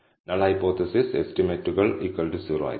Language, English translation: Malayalam, The null hypothesis is that the estimates will be equal to 0